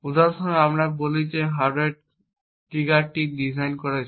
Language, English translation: Bengali, For example, let us say that the attacker has designed the hardware trigger so that it gets activated after a year